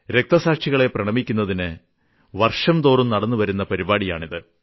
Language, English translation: Malayalam, Every year we pay tributes to the martyrs on this day